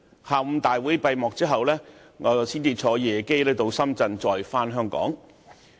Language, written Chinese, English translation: Cantonese, 大會在下午閉幕之後，我才乘搭夜機前往深圳再返港。, In the afternoon the Annual Meeting ended and it was only after this that I took a late flight back to Shenzhen and then returned to Hong Kong